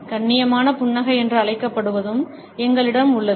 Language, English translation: Tamil, We also have what is known as a polite smile